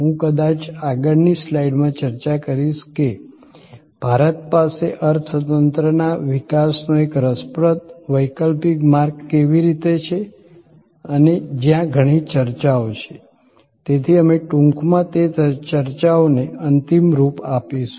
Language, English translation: Gujarati, I will discuss that maybe in the next slide, that how India has an interesting alternate path of economy development and where there are number of debates, so we will briefly touch up on those debates